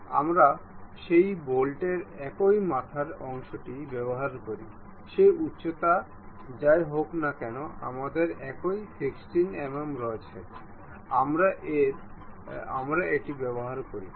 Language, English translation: Bengali, We use same the head portion of that bolt whatever that height, we have the same 16 mm, we use it